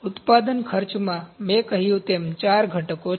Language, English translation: Gujarati, In manufacturing costs, as I said they are four components